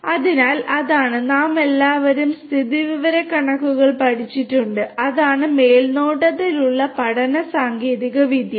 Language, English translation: Malayalam, So, that is the; you know we have all learnt in statistics also and that is the supervised learning technique and